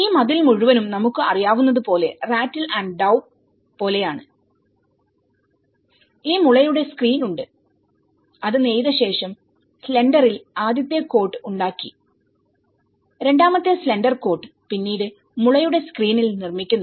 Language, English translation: Malayalam, So, then this whole wall like we know the rattle and daub sort of thing, so we have this bamboo screen, which has been weaven and then the first coat of slender has made and then the second coat of slender is made later on the bamboo screen